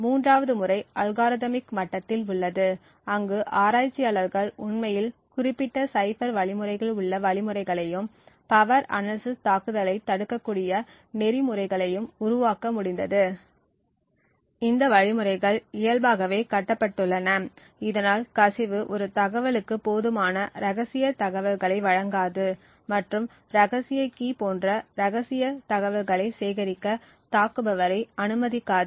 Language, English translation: Tamil, A third method is at the algorithmic level, where researchers have actually been able to build algorithms in particular cipher algorithms as well as protocols which can prevent power analysis attacks, these algorithms inherently are built so that the leakage would not give enough of information to an attacker to glean secret information like the secret key